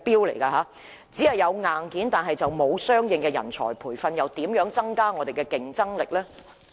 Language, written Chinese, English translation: Cantonese, 徒有硬件但沒有相應的人才培訓，試問怎能提高我們的競爭力呢？, If we only have the hardware without providing the corresponding training of talent how can our competitiveness be enhanced?